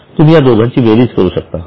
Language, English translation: Marathi, Now you can add both of them